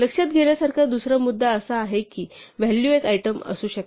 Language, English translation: Marathi, The second point to note is that a value can be a single item